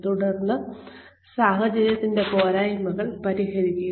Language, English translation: Malayalam, And then, address the shortcomings of the situation